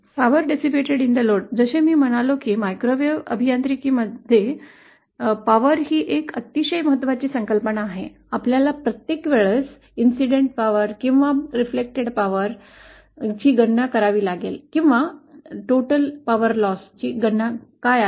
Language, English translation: Marathi, The power dissipated on the load, again as I said, power is a very important concept in microwave engineering, we have to calculate at every point what is the power incident or reflected or what is the net power loss